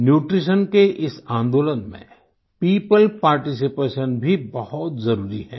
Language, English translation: Hindi, In this movement pertaining to nutrition, people's participation is also very crucial